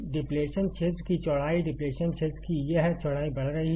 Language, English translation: Hindi, The width of depletion region, this width of depletion region is increasing